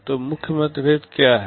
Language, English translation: Hindi, So, what are the main differences